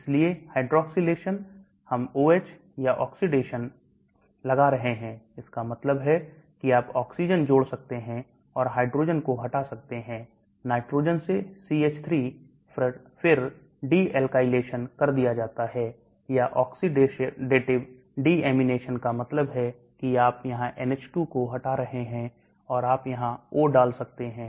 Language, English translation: Hindi, So hydroxylation, we are putting OH group or oxidation that means you may add an oxygen or remove a hydrogen, de alkylation on CH3 from nitrogen is removed or oxidative deamination that means you remove the NH2 here and you may put a O here